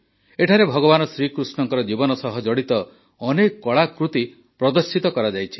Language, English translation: Odia, Here, many an artwork related to the life of Bhagwan Shrikrishna has been exhibited